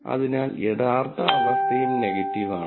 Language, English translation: Malayalam, So, the true condition is also negative